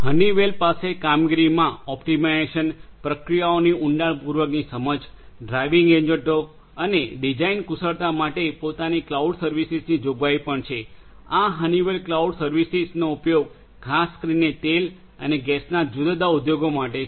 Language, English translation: Gujarati, Honeywell also has its own cloud service provisioning for performance optimization, deeper insights into the processes, driving agents and design skills these are different use of the Honeywell cloud service and this is particularly targeted for different oil and gas industries